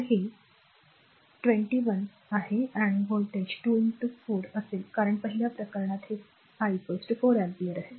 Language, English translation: Marathi, So, this it is 2 I so, here voltage will be 2 into your 4 because first case this case it is I is equal to 4 ampere